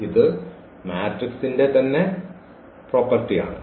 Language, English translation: Malayalam, This is the property of the matrix itself